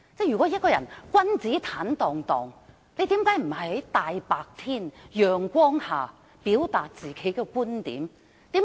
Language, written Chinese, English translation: Cantonese, 如果他真的君子坦蕩蕩，為甚麼他不在陽光下表達自己的觀點？, If he really has nothing to hide why doesnt he express his views openly?